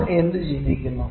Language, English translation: Malayalam, What you think